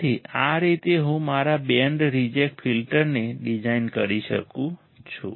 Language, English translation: Gujarati, So, this is how I can design my band reject filter